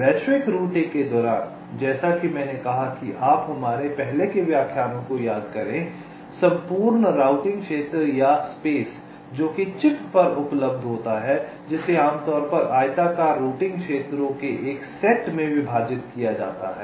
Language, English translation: Hindi, during global routing, as i said you recall our earlier lectures the entire routing region, or space that is available on the chip, that is typically partitioned into a set of rectangular routing regions